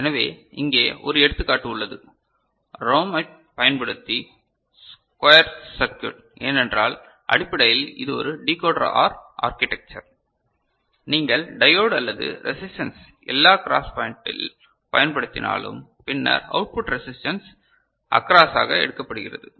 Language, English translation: Tamil, So, here is an example of a squarer circuit using ROM, because essentially it is a Decoder OR architecture is there right, even if you use diode or you know resistance and all at the cross point and then output taken across the resistance right